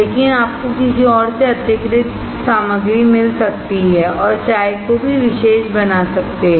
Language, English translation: Hindi, But you may find an extra ingredient in the from someone else, and make the tea even special